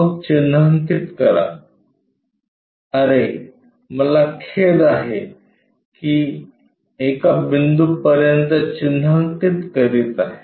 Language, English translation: Marathi, Then make marking oh I am sorry marking up to a point